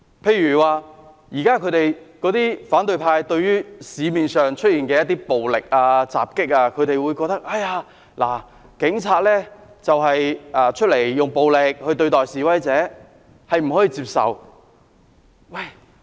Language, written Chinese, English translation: Cantonese, 舉例而言，對於現時社會上的一些暴力襲擊，反對派認為警方用暴力對待示威者是不可以接受的。, For example referring to the current violent attacks in the community the opposition camp considers it unacceptable for the Police to use violence against the demonstrators